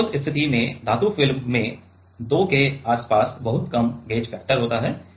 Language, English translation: Hindi, So, in that case the metal film has very less very low gauge factor around 2